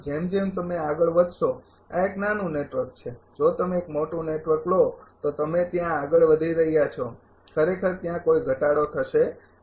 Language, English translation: Gujarati, As you are moving this is small network as if you take a large network as a moving towards there this difference actually there will be not much a decrease right